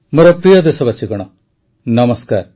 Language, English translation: Odia, Hello my dear countrymen Namaskar